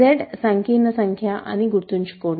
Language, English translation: Telugu, Remember if z is a complex number